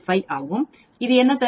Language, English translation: Tamil, 5 that what this gives